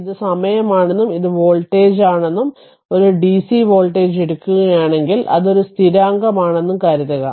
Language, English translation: Malayalam, Suppose, this is time right and this is voltage and if you take a dc voltage, it is a constant